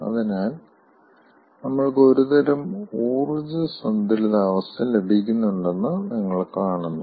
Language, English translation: Malayalam, so you see, we are getting some sort of a balance of energy